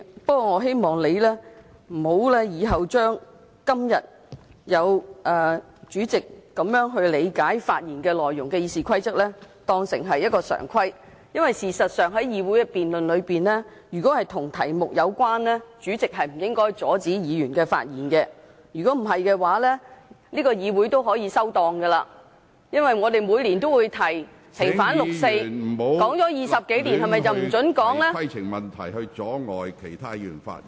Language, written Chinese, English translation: Cantonese, 不過，我希望你今天根據《議事規則》這樣理解發言內容的做法，日後不會變成常規，因為事實上在議會的辯論中，如果與議題有關，主席不應該阻止議員發言，否則這個議會大可以"收檔"，因為我們每年均提出"平反六四"的議案，這議題討論了20多年，是否便不容許再討論呢？, However I hope that the way how you interpreted the contents of Members speeches in accordance with RoP today will not become a norm in future . It is because in debates of this Council the President should not stop Members from speaking if their remarks are related to the question or else this Council may as well fold up . This is like the motion on vindication of the 4 June incident proposed by us every year